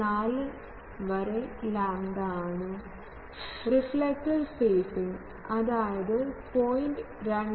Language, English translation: Malayalam, 4 lambda not and reflector spacing; that is 0